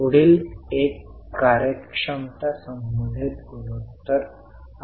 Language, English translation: Marathi, The next one are the efficiency related ratios